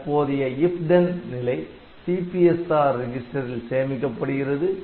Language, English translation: Tamil, The current if then status is stored in the CPSR resistant